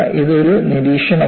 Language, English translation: Malayalam, This is one observation